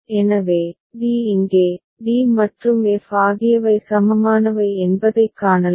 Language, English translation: Tamil, So, d here, we can see that d and f are equivalent